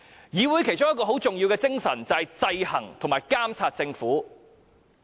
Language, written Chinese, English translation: Cantonese, 議會其中一項很重要的職能是制衡和監察政府。, One of the very important functions of the Council is monitoring and providing checks and balances against the Government